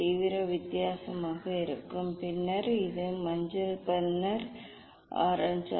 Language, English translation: Tamil, intensity will be different and this then yellow then orange